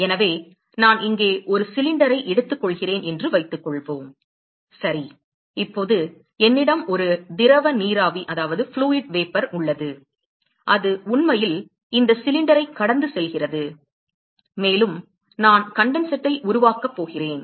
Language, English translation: Tamil, So, suppose I take a cylinder here ok; now I have a fluid vapor which is actually flowing past this cylinder, and I am going to have condensate which is going to form